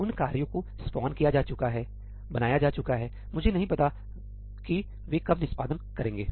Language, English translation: Hindi, Those tasks are spawned off, created; I do not know when they will execute